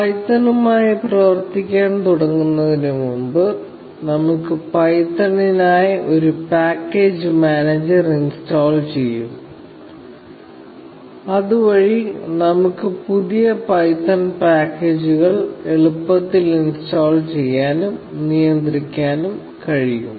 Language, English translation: Malayalam, So, before we start working with python, let us install a package manager for python, so that, we can install and manage new python packages easily